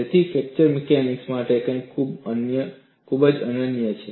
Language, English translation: Gujarati, So, there is something very unique to fracture mechanics